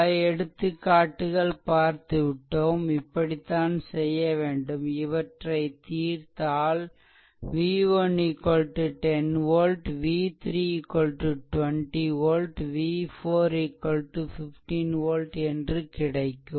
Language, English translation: Tamil, So, if you solve this one if you solve this one then you will get your ah v 1 is equal to 10 volt v 3 is equal to 20 volt and v 4 is equal to 15 volt